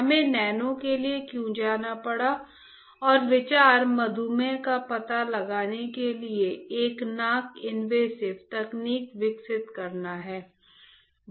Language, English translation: Hindi, Why we had to go for nano alright and the idea is to develop a non invasive technique for detecting diabetes